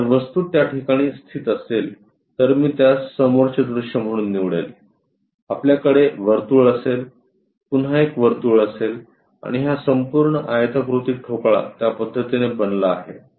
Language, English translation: Marathi, So, object is located in that way if I am going to pick this one as the front view; we will have circle again one more circle and this entire rectangular block turns out to be in that way